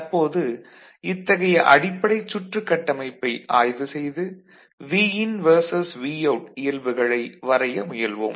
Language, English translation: Tamil, Now if you look at this circuit and we try to plot Vin versus Vout, Vin versus Vout ok